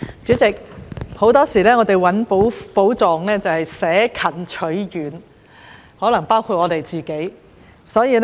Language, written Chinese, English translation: Cantonese, 主席，很多時候，我們尋找寶藏會捨近取遠，可能包括我自己。, President we often look for treasures from afar rather than nearby . I may also be so